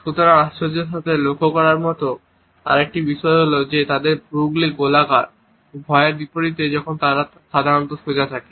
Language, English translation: Bengali, So, in surprise another thing to notice is that the eyebrows are rounded, unlike in fear when they are usually straight